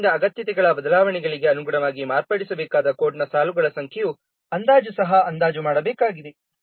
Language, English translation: Kannada, Then an estimate of the number of lines of the code that have to be modified according to the requirement changes